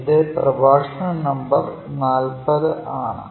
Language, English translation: Malayalam, We are at Lecture number 40